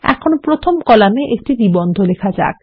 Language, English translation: Bengali, Let us write an article in our first column